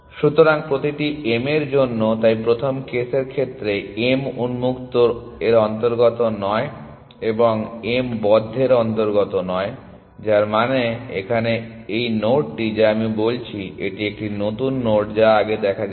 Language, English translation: Bengali, So, for each M, so case one m does not belongs to open and m does not belong to close which means it is this node here that I am talking about, it is a new node that has not been seen earlier essentially